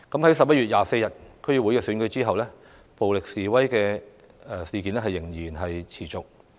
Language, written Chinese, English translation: Cantonese, 在11月24日的區議會選舉後，暴力示威仍然持續。, Violent demonstrations persisted after the District Council Election on 24 November